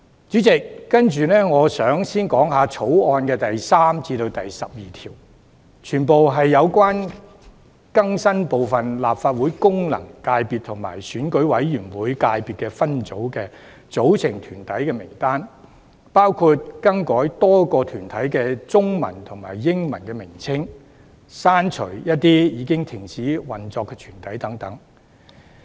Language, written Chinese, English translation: Cantonese, 主席，接着我想談談《條例草案》第3至12條，全部是關於更新部分立法會功能界別及選委會界別分組的組成團體名單，包括更改多個團體的中文及英文名稱，以及刪除一些已停止運作的團體等。, Chairman now I would like to discuss clauses 3 to 12 of the Bill which are all related to the updating of the list of corporates of some functional constituencies FCs in the Legislative Council and EC subsectors including the modification of the Chinese and English names of a number of corporates removal of some corporates which have ceased operation etc